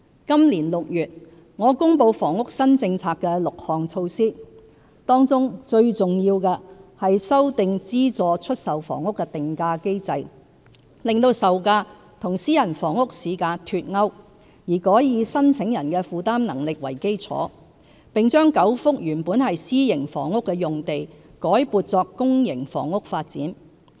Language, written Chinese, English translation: Cantonese, 今年6月，我公布房屋新政策的6項措施，當中最重要的是修訂資助出售房屋的定價機制，令售價與私人房屋市價脫鈎，而改以申請人的負擔能力為基礎，並將9幅原本是私營房屋的用地改撥作公營房屋發展。, Of the six new housing initiatives I announced in June this year the most important one is the revision of the pricing of subsidized sale flats SSFs to the effect that their selling prices will no longer be linked to market prices of private flats . Instead the selling prices will be determined primarily with reference to the affordability of applicants . In addition I have announced the re - allocation of nine private housing sites for public housing development